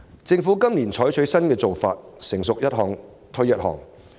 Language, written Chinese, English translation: Cantonese, 政府今年採取新做法，政策"成熟一項推一項"。, This year the Government has adopted the new approach of launching initiatives once they are ready